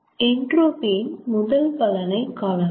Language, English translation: Tamil, let us see the first use of entropy